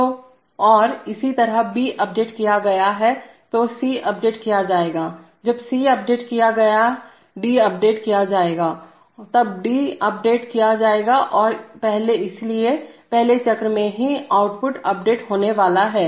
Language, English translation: Hindi, So, and similarly when B is updated C will be updated, when C is updated D will be updated and so in the first cycle itself output is going to be updated